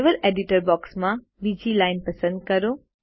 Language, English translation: Gujarati, Lets select the second line in the Level Editor box